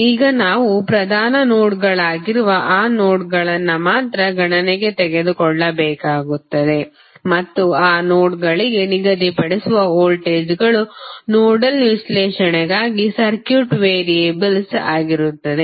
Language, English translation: Kannada, We have to only take those nodes which are principal nodes into consideration and the voltages which we assign to those nodes would be the circuit variables for nodal analysis